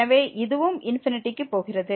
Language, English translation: Tamil, So, this is also going to infinity